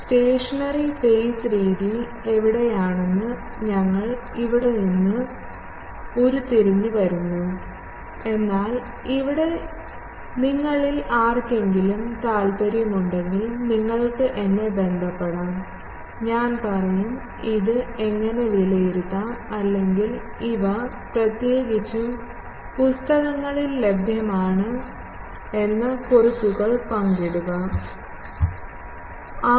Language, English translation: Malayalam, We derive this where stationary phase method that how this comes, but here I am not if any of you are interested, you can contact me, I will tell, share the notes that how can this be evaluated or these are available in books particularly R